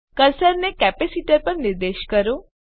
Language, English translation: Gujarati, Point the cursor on capacitor